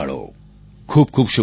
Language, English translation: Gujarati, My best wishes to them